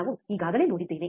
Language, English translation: Kannada, That we have already seen